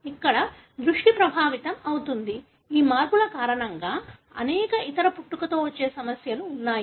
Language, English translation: Telugu, Here, the vision is affected; there are many other congenital problems, because of these changes